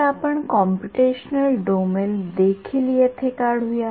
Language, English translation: Marathi, So, let us also draw computational domain over here